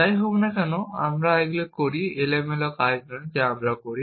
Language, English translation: Bengali, Whatever, we do these are not random actions that we do